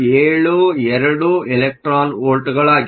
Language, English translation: Kannada, 772 electron volts